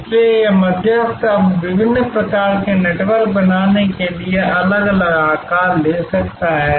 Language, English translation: Hindi, So, that intermediary is the can now take different shapes creating different types of networks